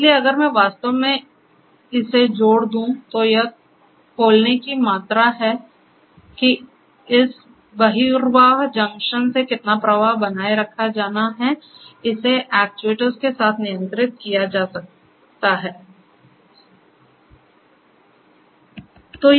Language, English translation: Hindi, So, if I may add actually it is a there are the amount of opening how much flow is to be maintained from this outflow junction can be controlled with such actuators